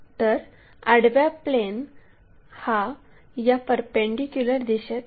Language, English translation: Marathi, So, horizontal plane is in this perpendicular direction